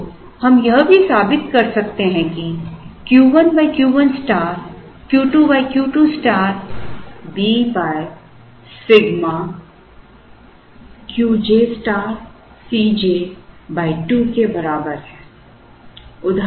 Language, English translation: Hindi, So, we can also prove that Q 1 by Q 1 star is equal to Q 2 by Q 2 star is equal to B by sigma Q j star C j by 2